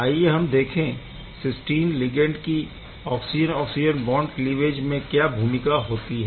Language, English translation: Hindi, Let us look at therefore, then what is the role of this cysteine ligand for this oxygen oxygen bond cleavage